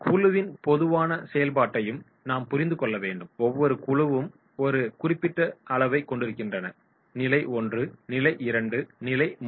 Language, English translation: Tamil, We have to also understand the general functioning of the group, every group is having certain level; level I, level II, level III